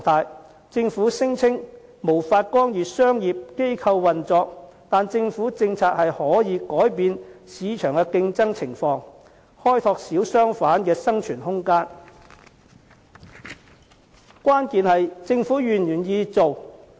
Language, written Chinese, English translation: Cantonese, 雖然政府聲稱無法干預商業機構運作，但政府是可以透過政策改變市場的競爭情況，為小商販開拓生存空間，關鍵在於政府是否願意做。, Although the Government claims that it cannot intervene in the operation of commercial organizations it can change the competition environment by means of policies creating room for the survival of small shop operators . The key lies in whether or not the Government is willing to do so